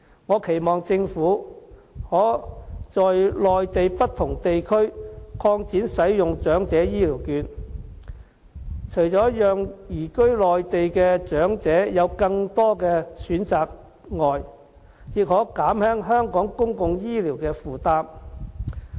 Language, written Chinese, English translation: Cantonese, 我期望政府可在內地不同地區擴展使用長者醫療券，除了讓移居內地的長者有更多的選擇外，亦可減輕香港公共醫療的負擔。, I hope the Government will extend the Elderly Health Care Voucher Scheme to different areas on the Mainland . In addition to allowing elderly people who have migrated to the Mainland to have more options it can also help Hong Kong to alleviate its burden on public health care